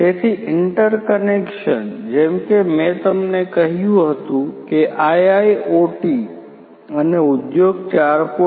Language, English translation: Gujarati, So, interconnection as I told you earlier is a very important component of IIoT and Industry 4